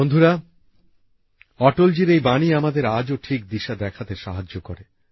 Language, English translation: Bengali, these words of Atal ji show us the way even today